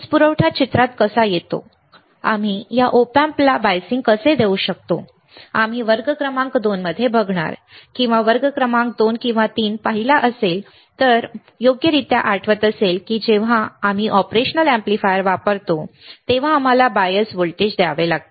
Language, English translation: Marathi, How we can give biasing to this op amp, we have not seen we will see in the class number 2, or we have seen the class number 2 or 3 if I correctly remember, that when we use an operational amplifier, we have to give a bias voltage